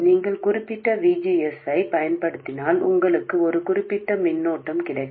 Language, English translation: Tamil, If you apply a certain VGS you will get a certain current